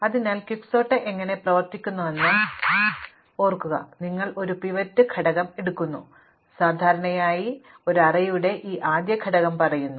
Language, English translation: Malayalam, So, remember how Quicksort works, you pick up a pivot element say typically this first element of an array